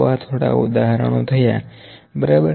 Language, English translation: Gujarati, So, these are the few examples, ok